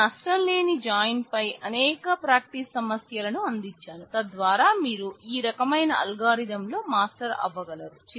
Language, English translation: Telugu, I have given a number of practice problems on lossless join, so that you can practice and become master of these kind of algorithm